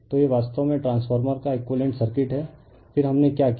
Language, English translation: Hindi, So, this is actually equivalent circuit of the transformer, then what we did